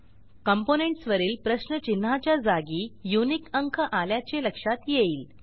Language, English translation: Marathi, Notice that the question marks on the components are replaced with unique numbers